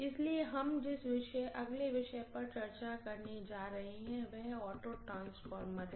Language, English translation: Hindi, So the next topic we are going to discuss is auto transformer, okay